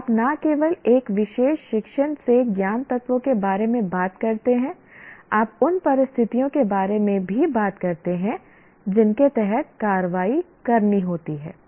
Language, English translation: Hindi, So you not only talk about the knowledge elements from a particular discipline, you also talk about the conditions under which the actions have to be performed